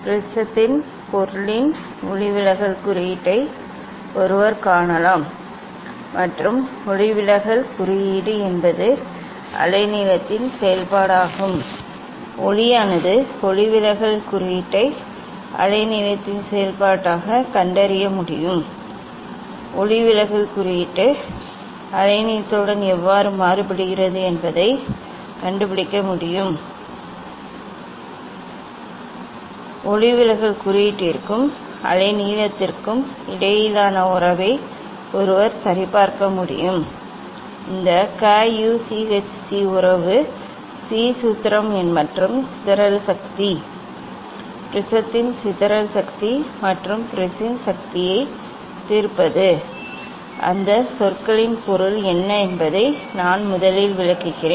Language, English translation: Tamil, One can find out the refractive index of the material of the prism and refractive index is a function of the wavelength of the light one can find out the refractive index as a function of wavelength, how refractive index varies with the wavelength one can find out And one can verify the relation between the refractive index and the wavelength that is Cauchy relation Cauchy formula and dispersive power; dispersive power of the prism as well as resolving power of the prism what are those or what are the meaning of those terms that let me explain first